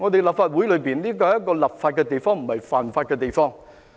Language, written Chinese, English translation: Cantonese, 立法會是一個立法的地方，不是犯法的地方。, The Legislative Council is a legislature not a place for breaching the law